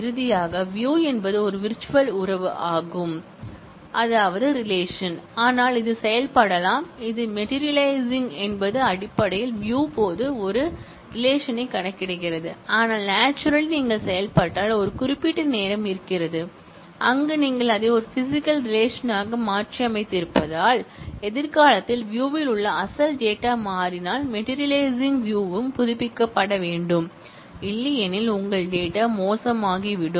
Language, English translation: Tamil, Finally, view is a virtual relation, but it can be materialized also, that is materializing is basically computing a physical relation at the at the instance of the view, but naturally if you materialized then there is a certain point of time, where you have materialized where you have made it into a physical relation and hence, if your original source data in the view changes in future the materialized view also need to be updated otherwise, your data will get bad